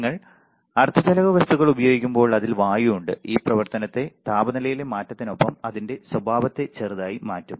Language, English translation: Malayalam, And when you are using semiconductor material it has air it will change, it will slightly change its behavior with change in the operating temperature